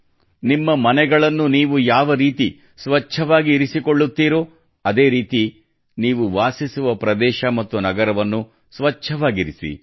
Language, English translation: Kannada, Just as you keep your houses clean, keep your locality and city clean